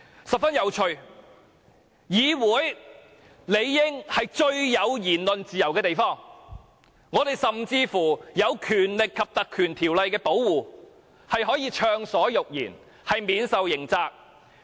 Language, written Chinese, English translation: Cantonese, 十分有趣的是，議會理應是最有言論自由的地方，我們在《立法會條例》的保護下可以暢所欲言，免受刑責。, It is very interesting to note that this Council is supposedly the place that allows the greatest freedom of expression . Under the protection of the Legislative Council Ordinance we can speak freely without having to worry about the liability